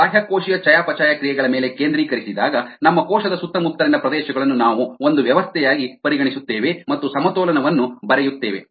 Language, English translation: Kannada, ok, when we focus on extra cellular metabolites, we will consider the surrounding as cell, as a system, and write a balances